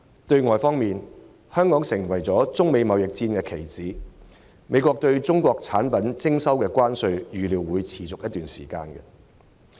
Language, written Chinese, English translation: Cantonese, 對外方面，香港成為中美貿易戰的棋子，美國對中國產品徵收的關稅預料會維持一段時間。, On the external front Hong Kong has become a pawn in the trade war between China and the United States . The tariffs imposed by the United States on Chinese goods are expected to stand for some time